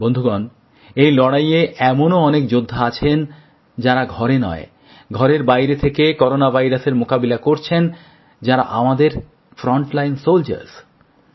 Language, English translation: Bengali, Friends, in this war, there are many soldiers who are fighting the Corona virus, not in the confines of their homes but outside their homes